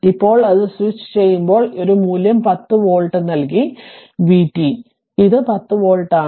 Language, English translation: Malayalam, So, now when it is switching on it is a value has given 10 volt, v t right, it is a 10 volt